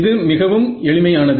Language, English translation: Tamil, It is very simple